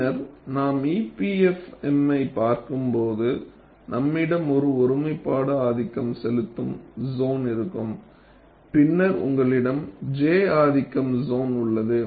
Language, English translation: Tamil, Later on, we will look at EPFM, we will have a singularity dominated zone, then you have a j dominated zone and so on